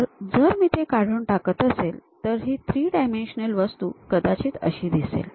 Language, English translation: Marathi, So, if I am removing that, perhaps the object looks like this; so, as a three dimensional thing